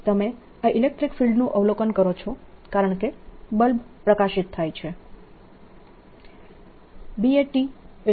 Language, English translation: Gujarati, you observe this electric field because the bulb lights up